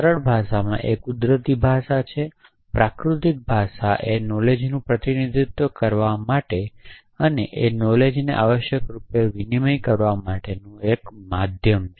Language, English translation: Gujarati, So, simplest is natural language; natural language is a medium for representing knowledge and even exchanging knowledge essentially